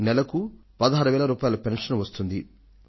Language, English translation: Telugu, He receives a pension of sixteen thousand rupees